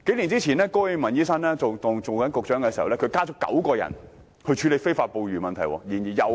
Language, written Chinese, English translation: Cantonese, 數年前高永文醫生出任食物及衞生局局長時，增設了9個職位處理非法捕魚問題。, A few years ago when Dr KO Wing - man was the Secretary for Food and Health he created nine posts to deal with illegal fishing